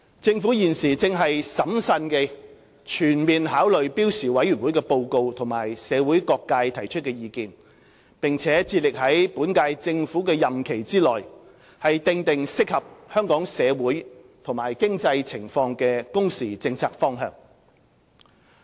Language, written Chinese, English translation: Cantonese, 政府現正審慎地全面考慮標時委員會的報告及社會各界提出的意見，並致力在本屆政府的任期內訂定適合香港社會和經濟情況的工時政策方向。, The Government is taking full account of the report of SWHC and the views of various sectors of the community carefully and strives to map out within the current term the working hours policy direction that suits Hong Kongs socio - economic situation